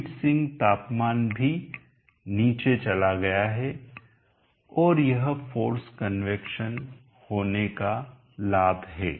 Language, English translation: Hindi, The heat zinc temperature is also gone down and that is the advantage of having force convection